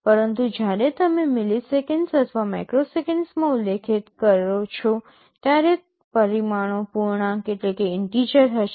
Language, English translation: Gujarati, But, when you specify in milliseconds or microseconds, the parameters will be integer